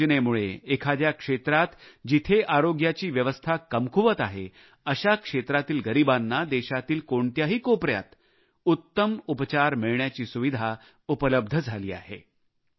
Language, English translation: Marathi, Due to this scheme, the underprivileged in any area where the system of health is weak are able to seek the best medical treatment in any corner of the country